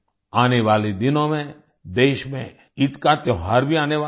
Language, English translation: Hindi, In the coming days, we will have the festival of Eid in the country